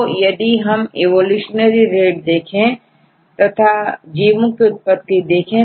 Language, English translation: Hindi, See if you look into these evolutionary rates or look into this is the origin of different organisms